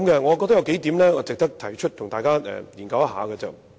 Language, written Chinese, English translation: Cantonese, 我認為有數點值得提出一起研究。, There are a few points which I think are worth mentioning for our discussion here